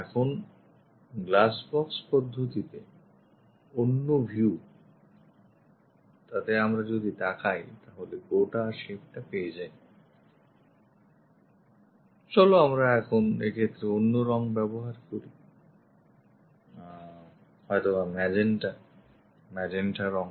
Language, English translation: Bengali, Now the other view on glass box method, if we are looking that we will have this entire shape, let us use other color perhaps magenta, this entire one